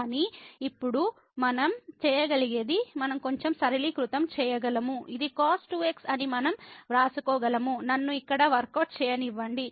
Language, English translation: Telugu, But, what we can do now we can simplify a little bit so, which is we can write down as so, let me just workout here